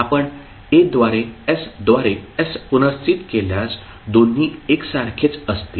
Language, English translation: Marathi, If you replace s by s by a both will be same